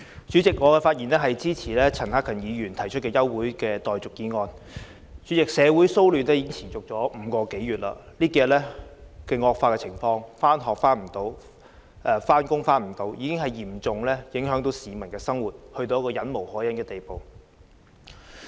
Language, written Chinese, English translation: Cantonese, 主席，我發言支持陳克勤議員提出的休會待續議案。主席，社會騷亂已經持續5個多月，這數天情況惡化，市民無法上學、上班，生活受嚴重影響，情況已到了一個忍無可忍的地步。, President I speak in support of the motion for adjournment proposed by Mr CHAN Hak - kan President the social disturbance has persisted for five - odd months and these few days the situation has taken a turn for the worse with people being unable to go to school or to work and their daily lives seriously affected . The situation has already strained their patience